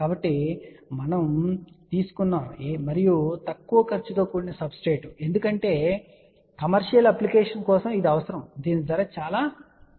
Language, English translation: Telugu, So, we have taken and low cast substrate because this is required for commercial application which is very price sensitive